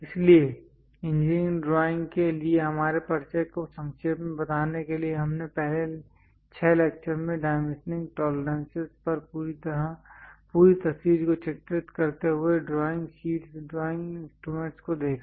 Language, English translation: Hindi, So, to summarize our introduction to engineering drawings, we first looked at drawing sheets, drawing instruments, lettering layouts complete picture on dimensioning tolerances in the first 6 lectures